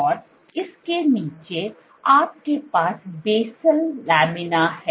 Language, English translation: Hindi, And underneath this, you have the basal lamina